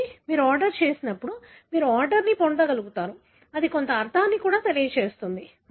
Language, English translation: Telugu, So, when you order, you are able to get an order which also convey some meaning